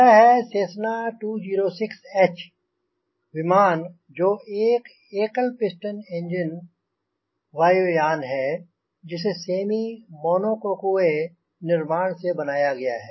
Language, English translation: Hindi, this is cessna two zero six dash h aircraft, which is the single piston engine aircraft will the semi monocoque construction